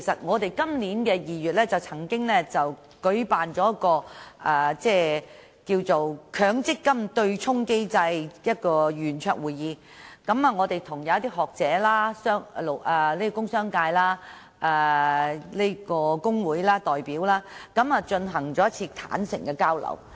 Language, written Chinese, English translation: Cantonese, 在今年2月，民建聯舉辦了"'強積金對沖機制齊齊傾'圓桌會議"，邀請學者、工商界及工會代表進行坦誠交流。, In February this year the Democratic Alliance for the Betterment and Progress of Hong Kong DAB hosted a round - table meeting on the offsetting mechanism under MPF . Academics as well as representatives from the business sector and labour unions were invited to frankly exchange views on the matter